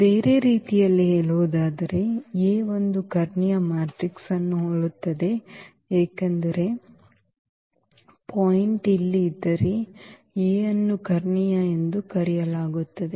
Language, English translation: Kannada, So, in other words if A is similar to a diagonal matrix, because if the point is here A is called diagonalizable